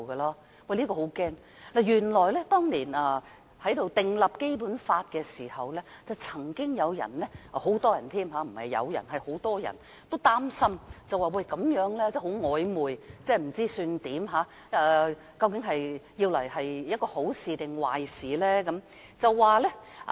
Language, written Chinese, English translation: Cantonese, 這是令人十分驚嚇的，當年訂立《基本法》的時候，曾經有人——不只是有人，是很多人——也擔心這樣的寫法很曖昧，不知想怎樣，究竟這樣做是好還是壞呢？, This is most frightening . During the drafting of the Basic Law back then some people―not only some people but many people―were concerned that the wording was too ambiguous to understand wondering if it would bode good or bad